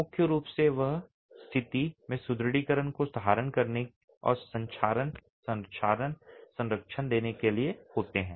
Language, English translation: Hindi, Primarily they are meant to hold the reinforcement in position and give corrosion protection